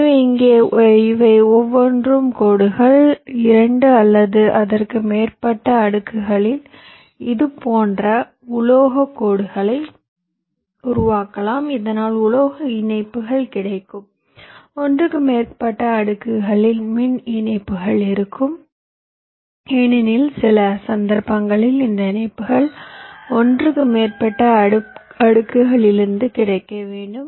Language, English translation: Tamil, you create such metal stripes on more than two or more layers so that metal connections will be available, power connections on more than one layers also, because in some cases you need this connections to be made available on more than one layer as well